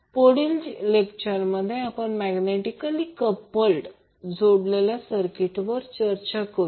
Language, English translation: Marathi, So in the next lecture we will discuss about the magnetically coupled circuits